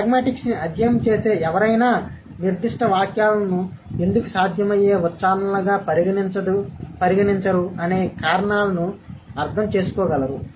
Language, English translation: Telugu, So, somebody who is, who studies pragmatics should be able to understand the reasons of why a certain set of sentences are not considered to be the possible utterances